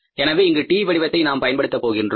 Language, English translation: Tamil, So, we are taking here this way this is a T format, right